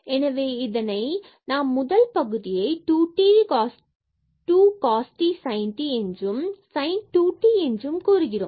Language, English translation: Tamil, So, this gets cancelled we have 2 sin u cos u which is a sin 2 u